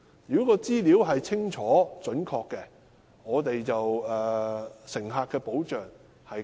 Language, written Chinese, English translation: Cantonese, 如果資料清楚準確，對乘客會有更好的保障。, If the information thereon is clear and accurate passengers will be offered better protection